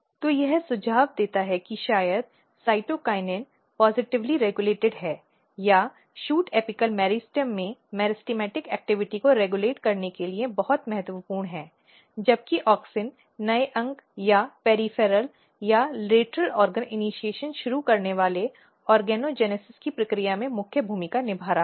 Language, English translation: Hindi, So, this suggest that maybe cytokinin is positively regulating or very important for regulating the meristematic activity in shoot apical meristem whereas, auxin is playing major role in the process of organogenesis starting new organ or the peripheral or the lateral organ initiation and that is how it happen